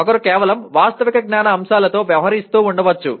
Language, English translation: Telugu, One may be dealing with just factual knowledge elements